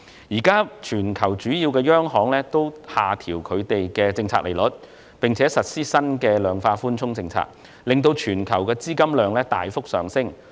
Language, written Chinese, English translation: Cantonese, 現時全球主要央行均下調政策利率，並實施新的量化寬鬆政策，令全球資金量大幅上升。, Major central banks around the world have now lowered their policy interest rates and implemented new rounds of quantitative easing policies leading to a substantial increase in the amount of global funds